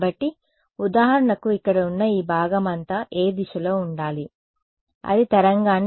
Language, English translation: Telugu, So, for example, this part over here what all should be in what direction should it observe the wave